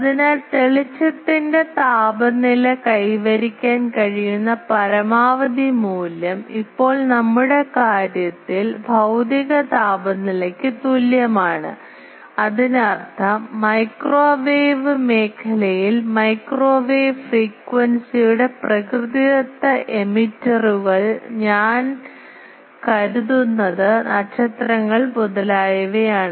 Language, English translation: Malayalam, So, the maximum value the brightness temperature can achieve is equal to the physical temperature now in our case; that means, in microwave region natural emitters of microwave frequency apart from I think the stars etc